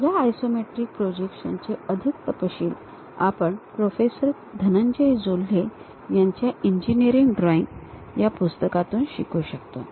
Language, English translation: Marathi, More details of this iso isometric projections, we can learn from the book Engineering Drawing by Professor Dhananjay Jolhe